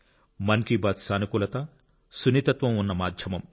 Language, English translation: Telugu, Mann Ki Baat is a medium which has positivity, sensitivity